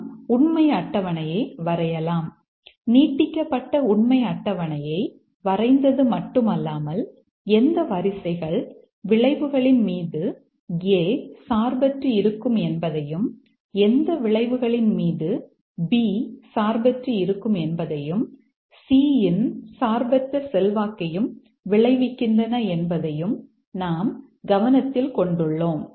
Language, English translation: Tamil, We drawn the truth table here, extended truth table where not only we have drawn the truth table but also we are keeping note of which rows result in independent influence of A on the outcome, independent influence of B on the outcome, independent influence of C on the outcome, and then we'll identify the MCDC test suit